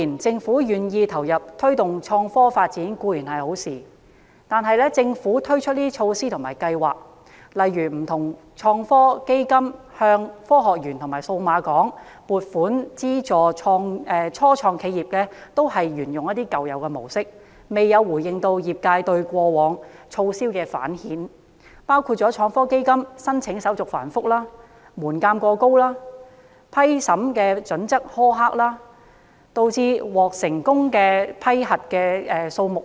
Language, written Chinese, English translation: Cantonese, 政府願意投入推動創科發展固然是好事，但推出的措施及計劃，例如不同創科基金及向科學園及數碼港撥款資助初創企業，均沿用舊有模式，未有回應業界對過往措施的反饋意見，包括創科基金申請手續繁複、門檻過高和審批準則苛刻，導致獲批資助的公司數目偏少。, However the measures and programmes implemented by it such as the funding of projects under the Innovation and Technology Fund ITF and the funding support to start - ups in the Hong Kong Science Park and the Cyberport are still old - fashioned without responding to the feedback from the industry on past measures . The sector reflected that the application procedures of ITF were complicated the threshold was too high and the criteria for approval were very strict . As a result only a few companies could see their applications approved